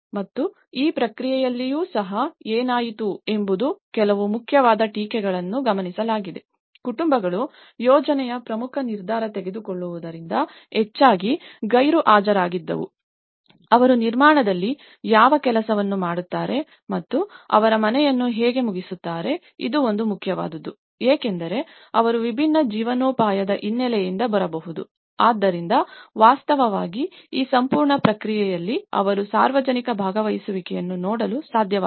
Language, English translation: Kannada, And even in this process, what happened is important some of the criticisms have observed, families were largely absent from the important decision making of the project, apart from what job they would do in construction and how to finish their house so, this is one of the important because they may come from a different livelihood background, so in fact, in this whole process, they couldn’t see much of the public participation